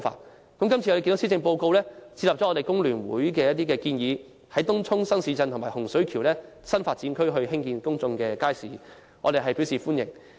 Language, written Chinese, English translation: Cantonese, 我們看到今次的施政報告接納了工聯會的一些建議，在東涌新市鎮和洪水橋這些新發展區興建公眾街市，我們表示歡迎。, We can see that the Policy Address this year has taken on board some of the recommendations made by FTU by building public markets in Tung Chung New Town and new development areas such as Hung Shui Kiu . We welcome this